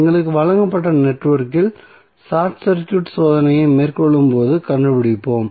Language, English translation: Tamil, We will find out while carrying out the short circuit test on the network which is given to us